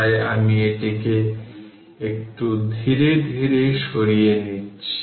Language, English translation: Bengali, So, I am moving it little bit slowly